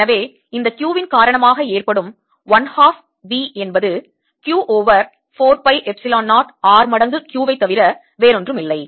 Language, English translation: Tamil, due to this, q is nothing but q over four pi epsilon zero r times q